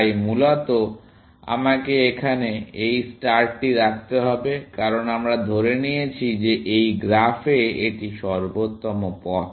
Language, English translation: Bengali, So basically, I have to put this star here, because we have assumed that in this graph, this is optimal path